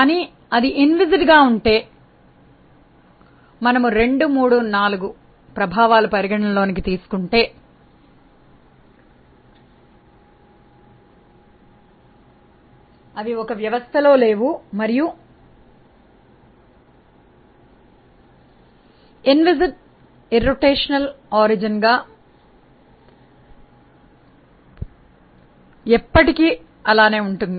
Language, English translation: Telugu, But if it is inviscid and then if we consider that the f x 2 3 and 4 are not there in a system; then if it is inviscid and irrotational origin and it will remain irrotational forever